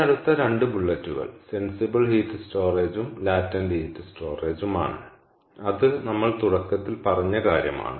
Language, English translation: Malayalam, right, if we so this next two bullets is the sensible heat storage and latent heat storage, which is exactly what we spoke about at the beginning